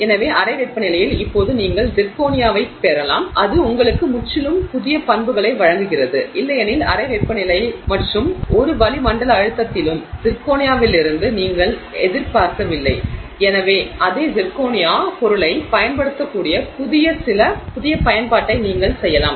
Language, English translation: Tamil, Therefore, at room temperature you can now have zirconia giving you completely new properties which you otherwise did not expect from zirconia at room temperature and one atmosphere pressure and therefore you can do something new, some new application you can use the same zirconia material for